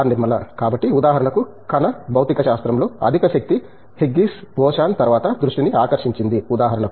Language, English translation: Telugu, So, for example, high energy in particle physics it grabbed attention after Higgs boson, for example